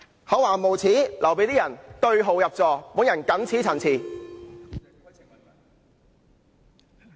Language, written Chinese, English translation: Cantonese, 厚顏無耻就留待某些人對號入座，我謹此陳辭。, I will leave the word shameless to whoever wants to take it personally . I so submit